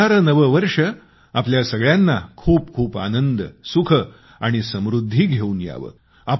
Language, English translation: Marathi, May the New Year bring greater happiness, glad tidings and prosperity for all of you